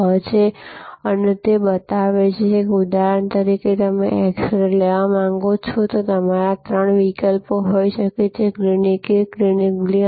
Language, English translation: Gujarati, 6 and that shows that for say for example, you want an x ray taken and there can be three alternatives to you, Clinic A, Clinic B and Clinic C